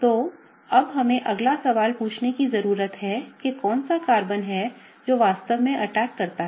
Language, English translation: Hindi, So, now the next question we need to ask is, which is the carbon that really gets attacked